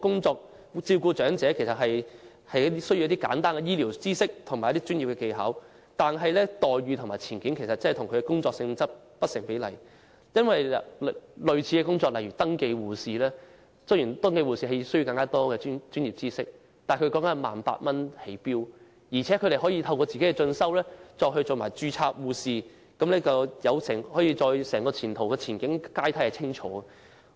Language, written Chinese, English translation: Cantonese, 照顧長者其實需要簡單的醫療知識和職業技巧，但員工的待遇和前景與其工作性質不成比例，因為類似的工作例如登記護士雖然要求更多專業知識，但登記護士的起薪點為 18,000 元，而且可以在進修後成為註冊護士，前景和晉升階梯都十分清楚。, Actually one has to acquire simple health care knowledge and vocational skills in order to look after the elderly but their benefits and prospects are disproportionate as the starting pay of similar jobs such as enrolled nurses is 18,000 though they are required to have more professional knowledge . Moreover they may become registered nurses upon completion of studies and their prospects and promotion ladder are very clear